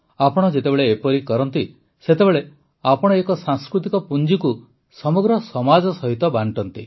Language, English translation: Odia, When you do this, in a way, you share a cultural treasure with the entire society